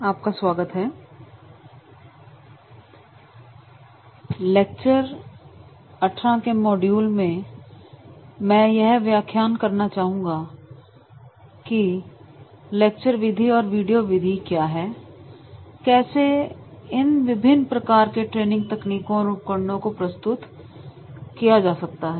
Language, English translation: Hindi, Now, in the further module that is the lecture 14, I would like to discuss the lecture method and the video method how we can make the presentations through these different types of the training techniques and tools